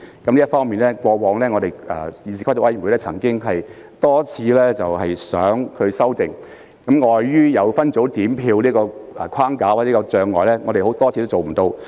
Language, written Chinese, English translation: Cantonese, 在這方面，議事規則委員會過往曾多次希望作出修訂，但礙於分組點票規定的框架或障礙，多次均無法做到。, In this regard the Committee on Rules of Procedure wanted to propose amendments to RoP for several times but to no avail due to the framework or hurdle of the rule on separate voting system